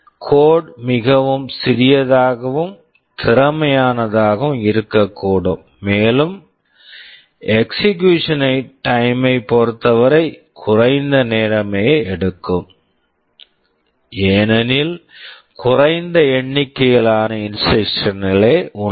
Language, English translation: Tamil, The code can be very compact and efficient, and in terms of execution time will also take less time because there are fewer number of instructions